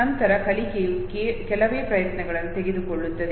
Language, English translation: Kannada, Subsequent learning takes very few attempts